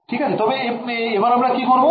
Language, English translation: Bengali, So, now what we do